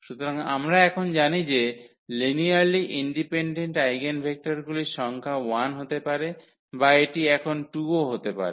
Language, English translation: Bengali, So, we know now that the number of linearly independent eigenvectors could be 1 or it could be 2 also now in this case